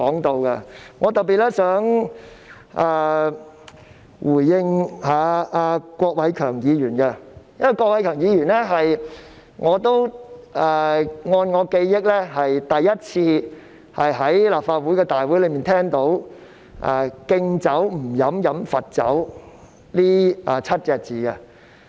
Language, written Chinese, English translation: Cantonese, 我想特別回應郭偉强議員，因為根據我的記憶，我是首次在立法會聽到"敬酒不喝喝罰酒"這7個字。, I would like to respond to Mr KWOK Wai - keung in particular for as far as I remember this is the first time I heard of the phrase refusing a toast only to be forced to drink a forfeit at the Legislative Council